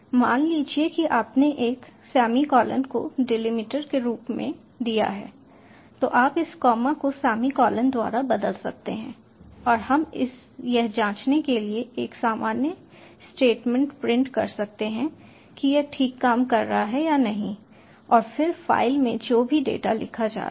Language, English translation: Hindi, you could have replace this comma by a semicolon and we print a normal statement to check whether it is working fine or not, and then whatever data is being written into the file